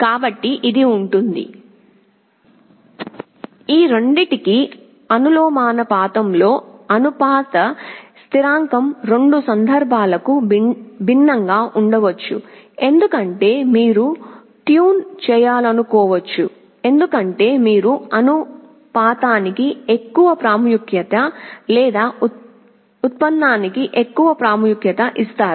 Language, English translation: Telugu, So, this will be proportional to both of these of course, the proportionality constant may be different for the two cases because, you may want to tune such that you will be giving more importance to proportional or more importance to derivative